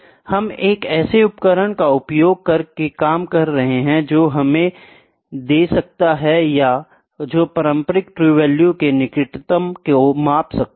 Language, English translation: Hindi, We are not actually working using true value, we working using an instrument that can give us or that can measure the closest up to the conventional true value